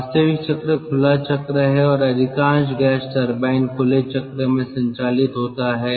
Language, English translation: Hindi, actual cycle is open cycle and most of the gas turbine operates in open cycle